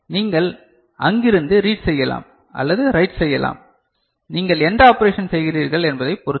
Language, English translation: Tamil, You can read from there or you can write it, depending on what operation you are doing